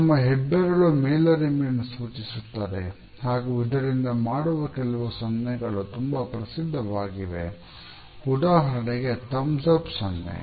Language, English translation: Kannada, Our thumbs normally indicates superiority and there are certain gestures which are universally popular, particularly the thumbs up gesture